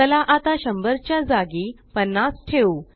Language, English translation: Marathi, Lets now replace 100 by 50